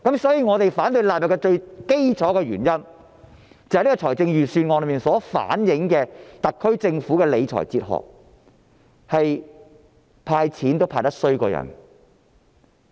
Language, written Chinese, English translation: Cantonese, 所以，我們反對將第1及2條納入《條例草案》的最基本原因，是預算案所反映的特區政府理財哲學，是"派錢"也派得比人差。, Therefore the basic reason that I speak against clauses 1 and 2 standing part of the Bill is the fiscal philosophy of the SAR Government reflected in the Budget which is its poor performance even in giving cash handout